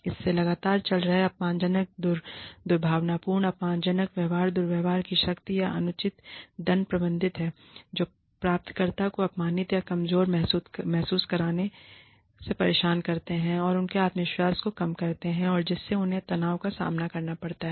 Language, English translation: Hindi, It consists of persistent, ongoing offensive, abusive, intimidating, malicious or insulting behavior, abuses of power or unfair penal sanctions, which makes the recipient feel upset, threatened, humiliated, or vulnerable, which undermines their self confidence, and which may cause them to suffer, stress